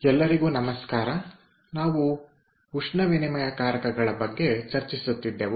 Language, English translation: Kannada, we were discussing regarding heat exchangers